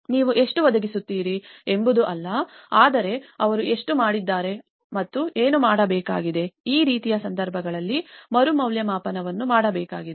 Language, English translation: Kannada, It is not how much you are providing but how much they have done and what needs to be done, this is where a reevaluation has to be done in these kind of cases